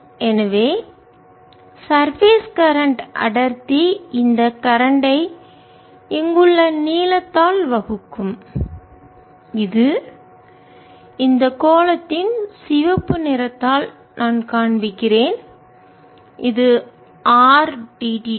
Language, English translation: Tamil, that is the current going at the surface to surface current density will be this current divided by the length out here which i am showing red on this sphere, which is r theta